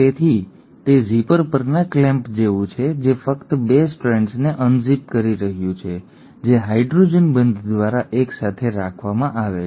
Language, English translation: Gujarati, So it is like the clamp on the zipper which is just unzipping the 2 strands which are held together through hydrogen bonds